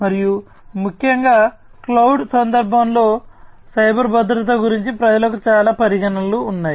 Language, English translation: Telugu, And particularly in the context of cloud, people have lot of considerations about cyber security